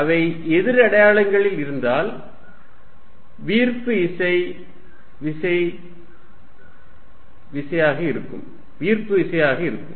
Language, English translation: Tamil, If they are at opposite signs, then force is going to be attractive